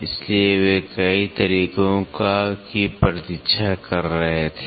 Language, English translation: Hindi, So, they were looking forward for several methods